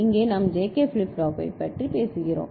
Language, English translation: Tamil, Here we are talking about JK flip flop right